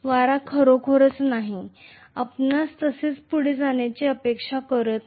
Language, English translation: Marathi, The wind is really not, we are not expecting it to move just like that